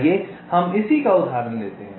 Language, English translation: Hindi, lets take this same example